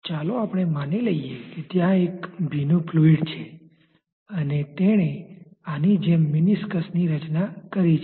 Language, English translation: Gujarati, Let us say that there is a wetting fluid and it has formed a meniscus like this